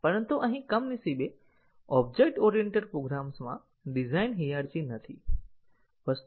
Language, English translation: Gujarati, But, here unfortunately in an object oriented program the design is not hierarchical